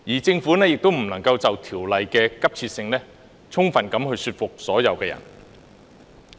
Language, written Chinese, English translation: Cantonese, 政府亦未能就修例的急切性充分說服所有人。, The Government also failed to fully convince everyone of the urgency